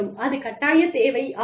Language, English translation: Tamil, That is a mandatory requirement